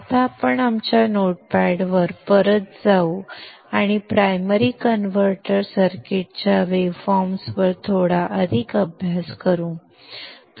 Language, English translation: Marathi, We shall now go back to our notepad and study a bit more on the waveforms of the primary converter circuits